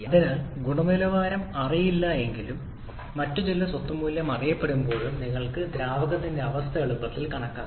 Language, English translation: Malayalam, Therefore, even when the quality is not known but some other property value or is known then you can easily calculate the state of the fluid